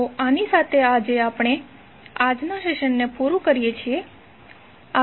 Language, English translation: Gujarati, So with this we close todays session